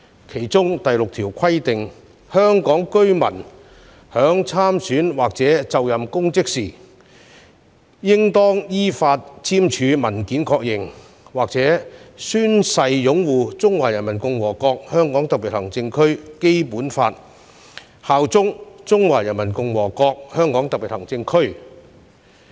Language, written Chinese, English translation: Cantonese, 當中第六條規定，"香港特別行政區居民在參選或者就任公職時應當依法簽署文件確認或者宣誓擁護中華人民共和國香港特別行政區基本法，效忠中華人民共和國香港特別行政區"。, Article 6 of the National Security Law provides that [a] resident of the Region who stands for election or assumes public office shall confirm in writing or take an oath to uphold the Basic Law of the Hong Kong Special Administrative Region of the Peoples Republic of China and swear allegiance to the Hong Kong Special Administrative Region of the Peoples Republic of China in accordance with the law